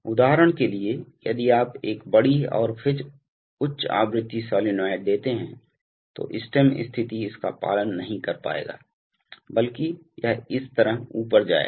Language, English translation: Hindi, So for example, if you give a large and then high frequency sinusoid, then the stem position will not be able to follow it, but rather it will go up like this